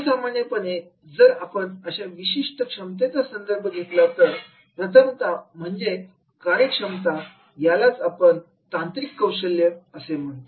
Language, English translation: Marathi, Normally, if we refer this particular ability, first one is that is the job ability or what is called is technical skills